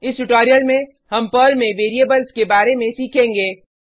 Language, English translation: Hindi, Welcome to the spoken tutorial on Variables in Perl